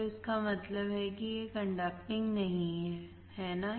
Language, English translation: Hindi, So that means, that it is not conducting, right